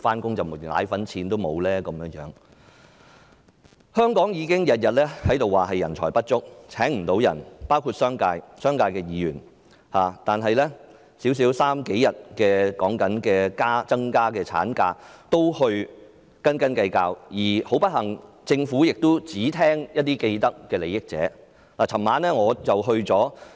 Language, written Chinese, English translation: Cantonese, 香港包括商界、商界的議員，已經每天也在說人才不足，無法聘請到員工，但此刻只是增加數天侍產假也在斤斤計較，而很不幸，政府只聽取一些既得利益者的意見。, Some members of the Hong Kong community including the business sector and the Members from that sector have been saying every day that it is hard to recruit staff because of the shortage of talent . However now that it is only a matter of increasing several days of paternity leave they are still haggling over trifles . Unfortunately the Government only listens to the views of those with vested interests